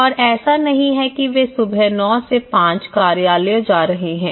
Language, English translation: Hindi, And it is not like they are going morning 9:00 to 5:00 is an office